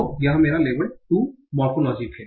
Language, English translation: Hindi, So this is my two level morphology